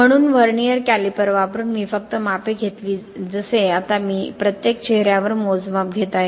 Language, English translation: Marathi, So using the vernier calipers I just took the measurements like now I am just taking the measurements on each faces